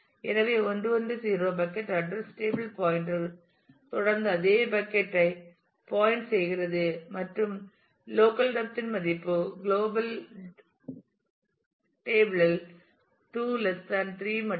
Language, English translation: Tamil, So, the 1 1 0 bucket address table pointer continues to point to the same bucket and the local depth value is just 2 less than 3 in the global table